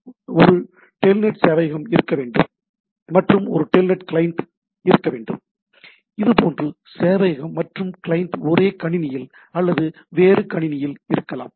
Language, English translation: Tamil, So, there should be a telnet server and there should be a telnet client and like this, right, the server and client can be on the same machine or in the different machine